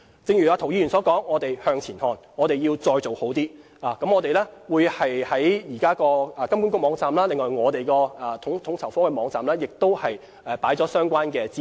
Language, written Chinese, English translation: Cantonese, 正如涂議員所說，我們向前看，我們要再做好一些，我們已在金管局網站和統籌科網站提供相關資料。, As Mr James TO said we have to be forward - looking . We have to do better . We have already provided the relevant information in HKMAs website and FSOs website